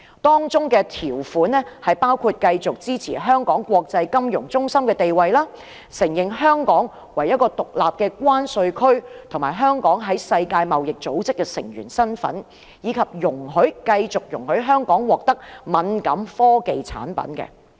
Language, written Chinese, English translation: Cantonese, 當中條款包括繼續支持香港國際金融中心的地位、承認香港為一個獨立的關稅區、香港在世界貿易組織的成員身份，以及繼續容許香港獲得敏感科技產品。, Hence Hong Kong can continue to enjoy independent treatment including the continuous support for Hong Kong as an international financial centre the recognition of Hong Kong as a separate customs territory the recognition of Hong Kongs membership in the World Trade Organization WTO and also the eligibility of Hong Kong to receive sensitive technological products